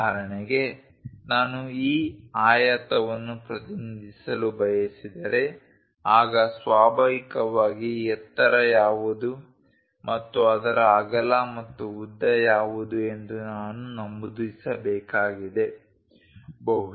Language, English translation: Kannada, For example, I want to represent this rectangle, then naturally, I have to mention what might be height and what might be its width and length